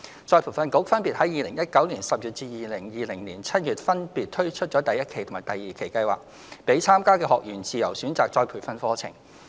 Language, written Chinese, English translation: Cantonese, 再培訓局分別於2019年10月及2020年7月分別推出第一期及第二期計劃，讓參加的學員自由選擇再培訓課程。, ERB launched Phase 1 and Phase 2 of the Love Upgrading Special Scheme in October 2019 and July 2020 respectively enabling participating trainees to receive retraining of their own choices